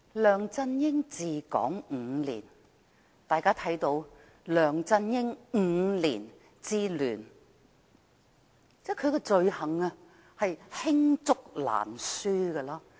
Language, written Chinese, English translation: Cantonese, 梁振英治港5年，大家看到的是"梁振英5年之亂"，他的罪行罄竹難書。, LEUNG Chun - ying has governed Hong Kong for five years . What we can see is Five years of chaos of the LEUNGs Era